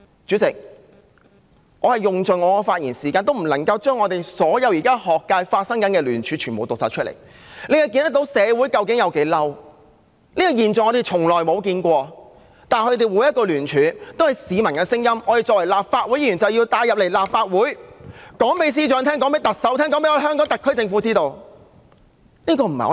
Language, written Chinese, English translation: Cantonese, 主席，我用盡我的發言時間也不能夠將現時學界的聯署全部讀出來，可見社會究竟有多憤怒，這個現象是我們從來沒有見過的，但他們每一個聯署，也是市民的聲音，我們作為立法會議員，便要帶入立法會，告訴司長、告訴特首和告訴香港特區政府，這不是我們"生安白造"的......, From this we can see how angry society is and we have never seen this phenomenon before . But each and every one of these signatories stands for the voices of the people . We being Members of the Legislative Council must bring these voices into the Legislative Council and convey them to the Chief Secretary for Administration to the Chief Executive and to the Government of the Hong Kong Special Administrative Region